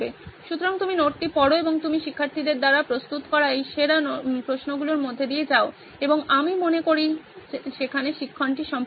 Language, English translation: Bengali, So you go through the note and you go through these best set of questions that are prepared by students and I think the learning would be pretty much complete there